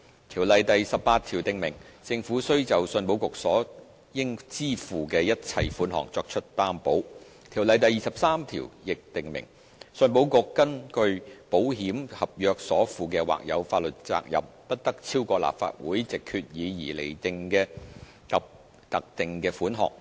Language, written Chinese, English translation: Cantonese, 《條例》第18條訂明，政府須就信保局所應支付的一切款項作出擔保。《條例》第23條亦訂明，信保局根據保險合約所負的或有法律責任，不得超過立法會藉決議而釐定的特定款額。, Section 18 of the Ordinance provides that the Government shall guarantee the payment of all moneys due by ECIC and section 23 stipulates that the contingent liability of ECIC under contracts of insurance shall not exceed a specified amount which may be determined by the Legislative Council by resolution